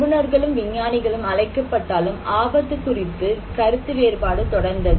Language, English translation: Tamil, Experts and scientists are called and but disagreement continued about risk